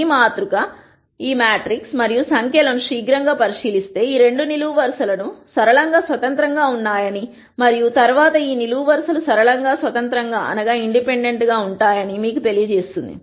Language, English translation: Telugu, A quick look at this matrix and the numbers would tell you that these two columns are linearly independent and subsequently because these columns are linearly independent there can be no relationships among these two variables